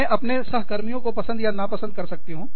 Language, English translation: Hindi, I can, like or dislike, my colleagues